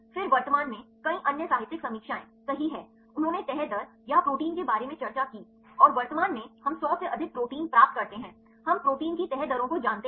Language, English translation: Hindi, Then currently there are several other literatures are reviews right, they discussed about the folding rates or proteins and currently we get more than 100 proteins, we know the folding rates of the proteins